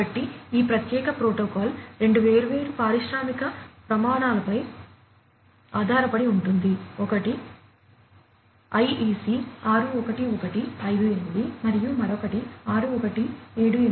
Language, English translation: Telugu, So, this particular protocol is based on two different industrial standards; one is the IEC 61158 and the other one is 61784